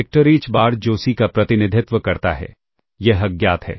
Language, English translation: Hindi, And, this vector h bar remember this is the CSI, this is unknown